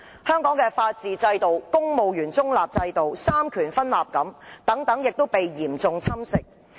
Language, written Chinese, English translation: Cantonese, 香港的法治、公務員中立和三權分立制度已被嚴重侵蝕。, Hong Kongs rule of law the neutrality of the civil service and separation of powers have been seriously eroded